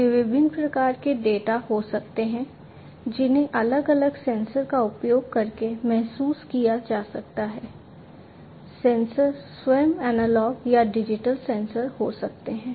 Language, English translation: Hindi, And there can be different types of data, that can be sensed using different sensors, the sensors themselves can be analog sensors or digital sensors